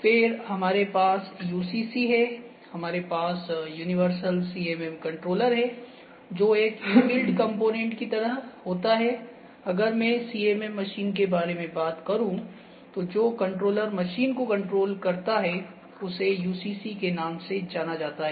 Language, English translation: Hindi, Then we have UCCs, universal CMM controller that is kind of a inbuilt component I can say the if the if I think of the whole CMM machine the controller that controls the machine is known as UCC